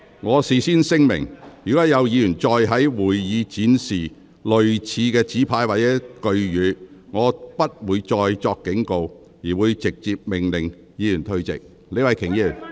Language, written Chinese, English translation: Cantonese, 我事先聲明，若有議員再在會議廳展示類似的紙牌或語句，我將不會再作警告，而會直接命令有關議員退席。, Here is my warning in advance . Should any Members display similar placards or statements in the Chamber I will order them to withdraw from the Council right away without further warning